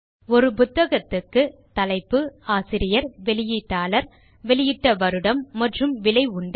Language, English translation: Tamil, A book can have a title, an author, a publisher, year of publication and a price